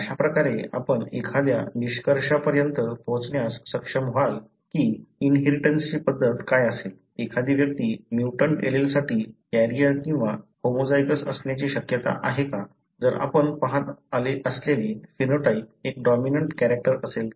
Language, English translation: Marathi, So, this is how you will be able to arrive at a conclusion as to what would be the mode of inheritance, whether an individual is likely to be a carrier or homozygous for a mutant allele, if the phenotype that you see is a dominant character